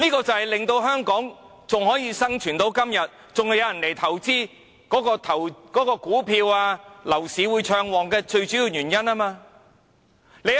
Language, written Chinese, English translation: Cantonese, 這便是香港能生存至今，還有人會來投資，股票和樓市仍會暢旺的最主要原因。, This is a major reason why Hong Kong remains viable today why people still come here to invest and why the stock market and property market still thrive